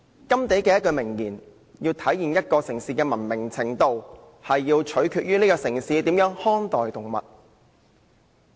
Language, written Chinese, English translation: Cantonese, 甘地有一句名言："一個城市的文明程度，取決於城市的人民如何看待動物。, As a famous saying of Mr Mahatma GANDHI goes The degree to which a city is civilized depends on the way how the people in the city treat animals